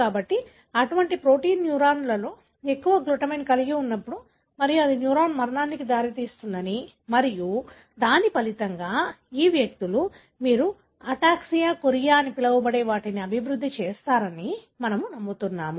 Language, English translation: Telugu, So, that is what we believe that when such protein having longer glutamine expressed in the neurons and that could lead to the death of the neuron and as a result, these individuals developed what do you call as ataxia, chorea